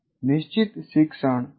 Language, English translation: Gujarati, What is an identified learning goal